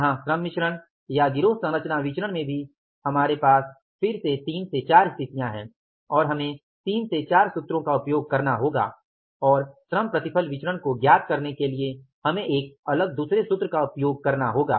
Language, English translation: Hindi, Here also in the labor mixed variance or the gang composition variance we have again three to four situations and we will have to use three to four formulas and for finally the labor yield variance we will have to use a different set of the formula